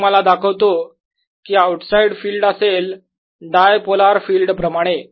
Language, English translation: Marathi, i show you that the outside field is like the dipolar field, like this